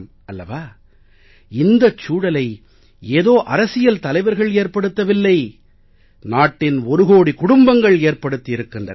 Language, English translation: Tamil, This atmosphere has not been created by any political leader but by one crore families of India